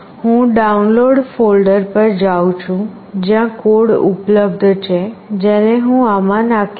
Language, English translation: Gujarati, I am going to the download folder, where the code is available, which I will dump it in this